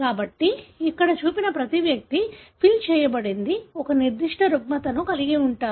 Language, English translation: Telugu, So, every individual that is shown here, the filled one, are having a particular disorder